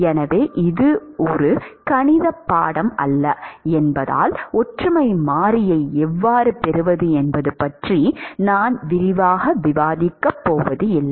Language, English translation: Tamil, So, this is, as this is not a math course I am not going to discuss in detail as to how to get the similarity variable